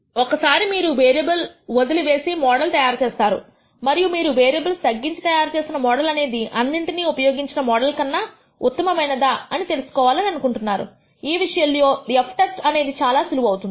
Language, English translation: Telugu, Sometimes you might actually build a model by dropping a variable and you want to know whether the model you have built by reducing the number of variables is better than the 1, that by retaining all of them, in such a case this f test comes in very handy